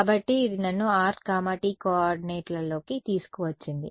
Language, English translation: Telugu, So, that brought me over here in r theta coordinates